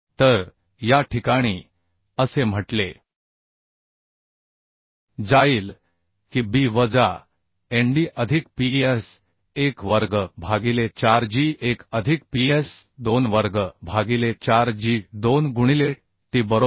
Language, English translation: Marathi, so in this case it will be, say b minus nd plus ps1, square by 4g1 plus ps2, square by 4g2, into t, right